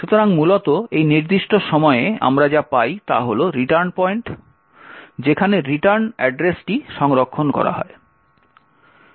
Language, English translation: Bengali, So, essentially at this particular point what we obtain is that return points to where the return address is stored